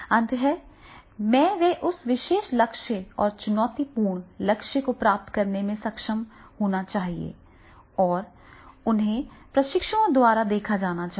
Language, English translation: Hindi, That is the end of the day they should be able to achieve that particular goal and that is a challenging goal is there and that that that should be get noticed by the trainees